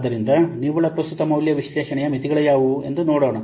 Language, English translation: Kannada, So let's see what are the limitations of net present value analysis